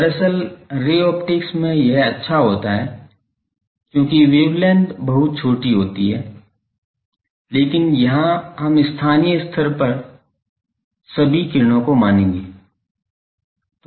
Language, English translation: Hindi, Actually, in ray optics this holds good because they are wavelength is very small, but here also we will assume these that locally all the rays